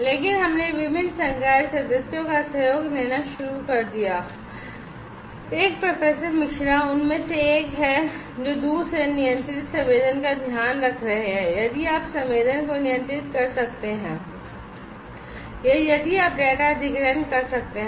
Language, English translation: Hindi, So, we started to collaborate with different faculty members one Professor Misra is one of them that he is taking care of the remotely controlled sensing if you can control the sensing or if you can take the data acquisition